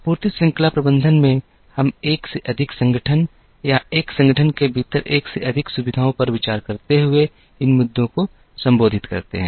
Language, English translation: Hindi, In supply chain management, we address these issues considering more than one organization or more than one facilities within an organization